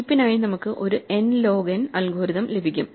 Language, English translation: Malayalam, So, we get an order n log n algorithm for heap